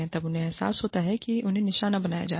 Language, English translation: Hindi, Then they realize, that they are being targeted